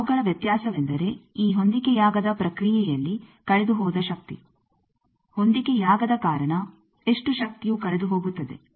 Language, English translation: Kannada, Their difference is the power that is lost in this mismatch process, due to mismatch how much power is lost